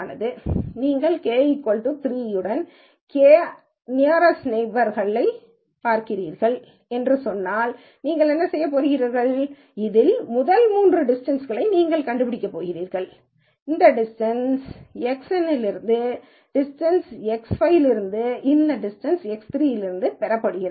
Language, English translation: Tamil, If let us say you are looking at k nearest neighbors with k equal to 3, then what you are going to do, is you are going to find the first three distances in this and this distance is from X n, this distance is from X 5 and this distance is from X 3